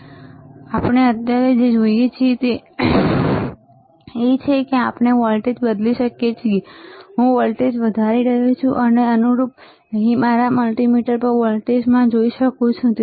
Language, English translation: Gujarati, So, right now what we see is we can change the voltage we I am increasing the voltage and correspondingly I can see the increase in the voltage here on my multimeter